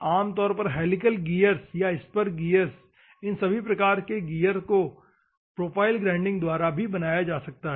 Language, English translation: Hindi, Normally helical gates or spar gates all this type of gates also can be fabricated by the profile grinding